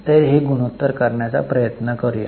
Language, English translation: Marathi, So, let us try to calculate the current ratio